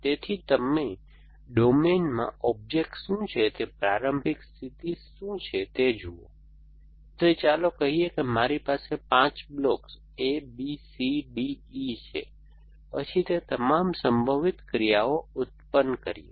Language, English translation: Gujarati, So, on you look at what the starting state is what the objects in the domain are, so that let say I have 5 blocks A, B, C, D, E, then it will produce all possible actions